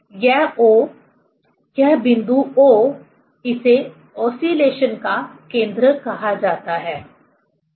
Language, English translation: Hindi, This O, this point O, it is called the center of oscillation, ok